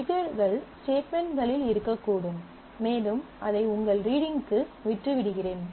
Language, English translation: Tamil, Triggers can be on statements as well you can decide leave for your reading